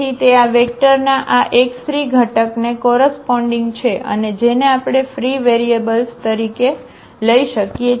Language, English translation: Gujarati, So, that corresponds to this x 3 component of this vector and which we can take as the free variable